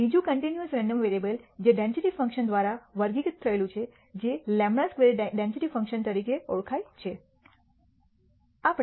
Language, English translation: Gujarati, Another continuous random variable who is characterized by density function known as the chi square density function